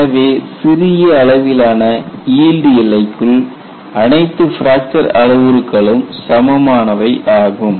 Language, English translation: Tamil, So, you find within the confines of small scale yielding, all fracture parameters are equal